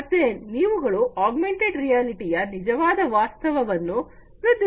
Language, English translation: Kannada, So, they will have improved augmented reality of the actual reality